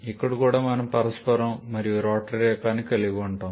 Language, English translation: Telugu, Here also we can have both reciprocating and rotary type